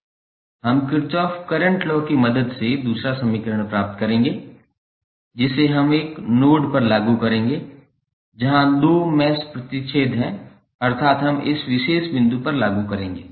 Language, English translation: Hindi, We will get the second equation with the help of Kirchhoff Current Law which we will apply to a node where two meshes intersect that means we will apply at this particular point